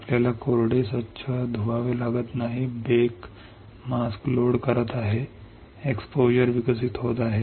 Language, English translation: Marathi, You do not have to rinse dry soft bake is loading mask, exposure is develop